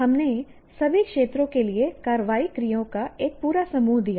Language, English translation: Hindi, We have given a whole bunch of action work for all the domains